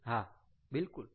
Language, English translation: Gujarati, ok, all right